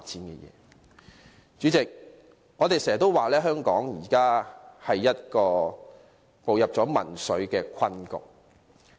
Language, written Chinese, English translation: Cantonese, 代理主席，我們經常說，香港現已步入民粹的困局。, Deputy President we always say that Hong Kong has sunk into a quagmire of populism